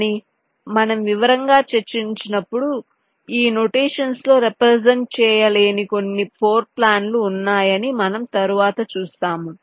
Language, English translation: Telugu, but we shall see later when you discuss in detail that there are certain floorplans which cannot be represented in this notation, right